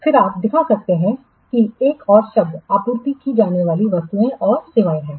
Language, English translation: Hindi, Then you can show that the another term is goods and to be supplied